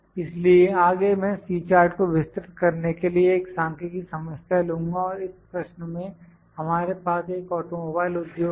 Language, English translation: Hindi, So, next I will take a numerical problem to elaborate my C chart and in the question we have in an automobile industry